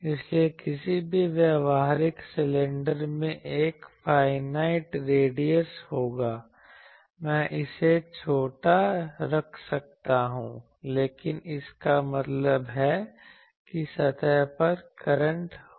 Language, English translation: Hindi, So, any practical cylinder will have a finite radius I can keep it small, but that means on the surface there will be currents